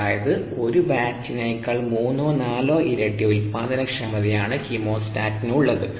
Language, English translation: Malayalam, the chemostat is three to four times more productive than a batch, usually speaking